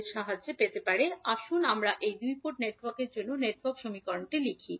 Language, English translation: Bengali, So, let us write first the network equations for these two two port networks